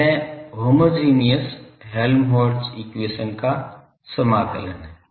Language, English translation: Hindi, This is the integration of in homogeneous Helmholtz equation